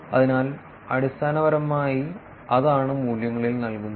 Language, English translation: Malayalam, So, essentially that is what is been given in the values